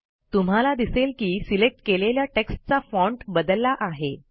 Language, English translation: Marathi, You see that the font of the selected text changes